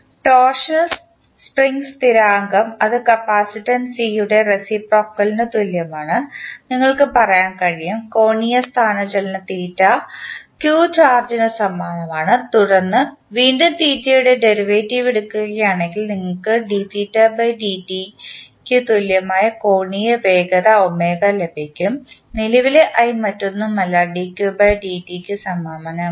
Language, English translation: Malayalam, Torsional spring constant that is K, you can say that it is analogous to reciprocal of capacitance C, angular displacement theta is analogous to charge q and then again if you take the derivative of theta, you get angular velocity omega that is equal to d theta by dt which is analogous to dq by dt that is nothing but the current i